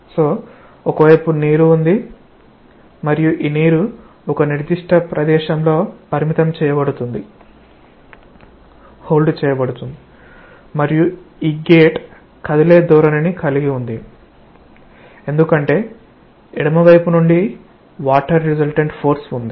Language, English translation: Telugu, So, on one side, there is water and it is so that this water is being confined in a particular place, and this gate has a tendency to move because there is a resultant force of water from the left side